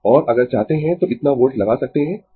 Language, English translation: Hindi, And if you want you can put this much of volts right